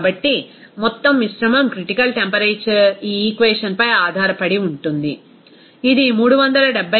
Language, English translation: Telugu, So, total mixture critical temperature will be just based on this equation, it will be coming as 374